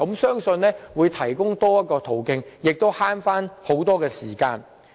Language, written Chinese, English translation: Cantonese, 相信這樣會提供多一個途徑，亦更省時。, I trust that this will serve as an alternative which also helps save time